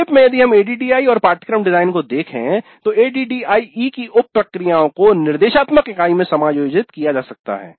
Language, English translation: Hindi, So, in summary if you look at ADD and course design, the sub process of ADE can be adjusted to instructional situation on hand